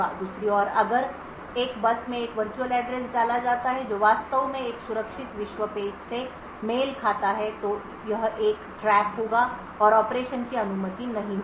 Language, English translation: Hindi, On the other hand if a virtual address is put out on a bus which actually corresponds to a secure world page then there would be a trap and the operation would not be permitted